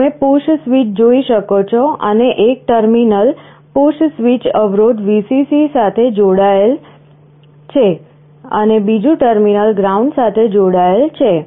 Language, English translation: Gujarati, You can see the push switch, and one terminal the push switch is connected to this resistance to Vcc, and the other terminal to ground